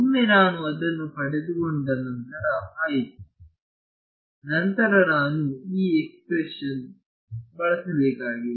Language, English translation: Kannada, Once I get it once then I am done then I need to use this equation right